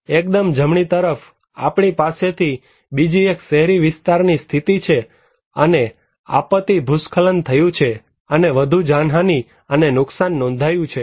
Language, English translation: Gujarati, In the extreme right, we have another one which is an urban area and disaster landslide took place and more casualty and losses are reported